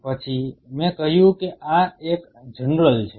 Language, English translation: Gujarati, Then I said this is a general